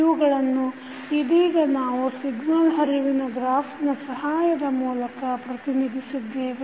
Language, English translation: Kannada, So, how you will represent with a help of signal flow graph